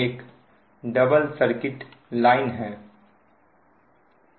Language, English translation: Hindi, it is a double circuit line